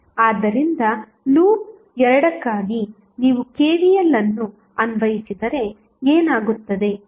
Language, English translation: Kannada, So, for loop 2 if you apply KVL what will happen